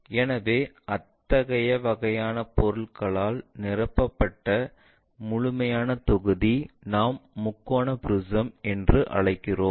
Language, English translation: Tamil, So, the complete volume filled by such kind of object, what we call triangular prism